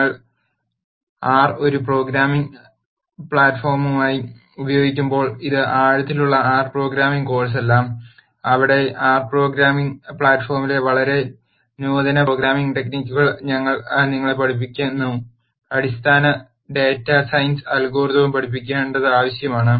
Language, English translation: Malayalam, While we will use R as a programming platform this is not an in depth R programming course where we teach you very sophisticated programming techniques in R the R programming platform will be used in as much as it is important for us to teach the underlying data science algorithms